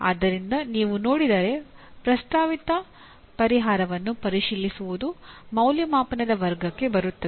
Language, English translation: Kannada, So if you look at examining a proposed solution comes under the category of evaluation